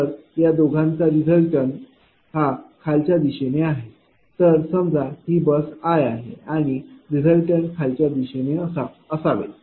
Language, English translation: Marathi, So, resultant of this two in the in the downward direction right suppose this is bus i and resultant should be in the downward direction